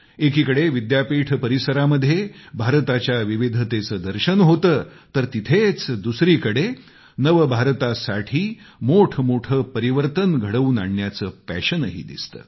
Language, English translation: Marathi, In these campuses on the one hand we see the diversity of India; on the other we also find great passion for changes for a New India